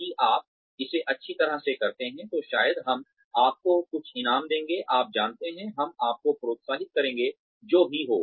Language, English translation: Hindi, If you do it well, then maybe, we will give you some reward, you know, we will encourage you, whatever